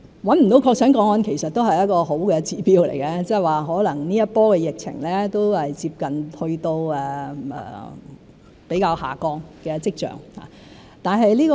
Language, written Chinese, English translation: Cantonese, 找不到確診個案其實也是一個好的指標，即是說，可能這一波的疫情都接近有下降的跡象。, The fact that no confirmed cases were identified is actually a good indicator that this wave of the epidemic might begin to show signs of decline